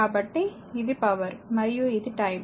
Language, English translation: Telugu, So, this is power and this is your time